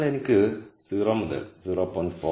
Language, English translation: Malayalam, So, I have 0 to 0